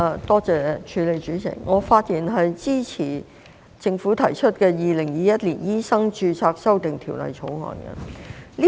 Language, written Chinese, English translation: Cantonese, 代理主席，我發言支持政府提出的《2021年醫生註冊條例草案》。, Deputy President I speak in support of the Medical Registration Amendment Bill 2021 the Bill proposed by the Government